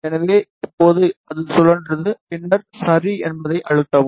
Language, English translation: Tamil, So, now it has rotated, then press ok